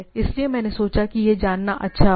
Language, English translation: Hindi, So, it is I thought that it would be good to know